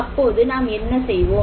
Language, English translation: Tamil, What do we need to do then